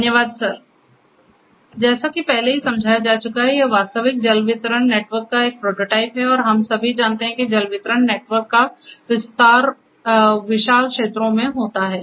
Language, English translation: Hindi, Thank you sir, as already it has been explained that this is a prototype of a real water distribution network and we all know that water distribution networks expand over vast areas